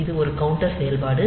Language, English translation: Tamil, So, this is a counter operation